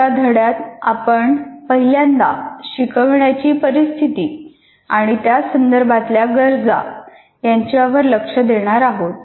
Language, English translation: Marathi, And in the next unit, we first focus on instructional situations and their requirements